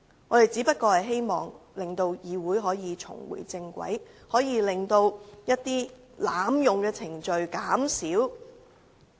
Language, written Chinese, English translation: Cantonese, 我們只是希望令議會重回正軌，盡量減少濫用程序的情況。, We simply hope that the Chamber will get back on the right track and the abuse of RoP will be minimized